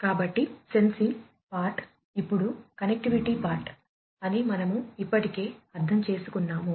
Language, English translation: Telugu, So, we have already understood the sensing part now next comes the connectivity part